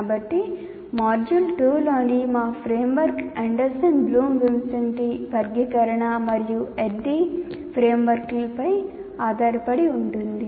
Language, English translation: Telugu, So our framework here in the module 2 is based on Anderson Bloom Wincente taxonomy and ADD framework